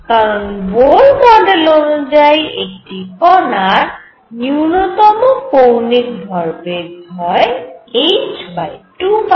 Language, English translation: Bengali, Because Bohr model says that lowest angular momentum for a particle is h over 2 pi